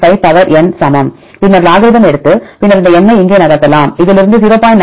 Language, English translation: Tamil, 95 power N, then take the logarithm ln right ln then you can move this N here that is N into ln of 0